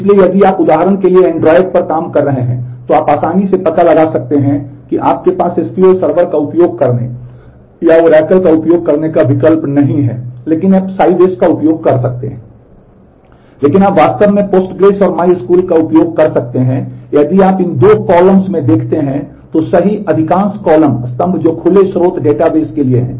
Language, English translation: Hindi, So, if you are for example, working on android, then you can easily make out that you do not have a choice to use SQL server or to use Oracle, but you can use Sybase